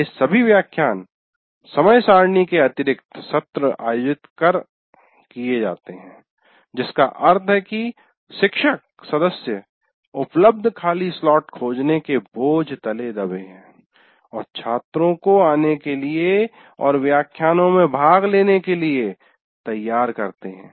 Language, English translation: Hindi, First of all, these additional sessions are conducted outside the timetable, which means the faculty member is burdened with finding out empty slots or available slot, perciate the fact students to come and attend those lectures and so on and on